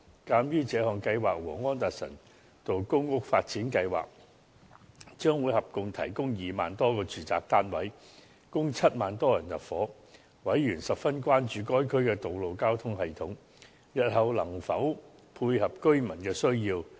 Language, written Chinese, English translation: Cantonese, 鑒於這項計劃和安達臣道公屋發展計劃將會合共提供2萬多個住宅單位，供7萬多人入住，委員十分關注該區的道路交通系統日後能否配合居民的需要。, Since this project and the public rental housing development at Anderson Road will together provide about 20 000 housing units and accommodate about 70 000 people members were concerned whether the future road network system in the district could meet public need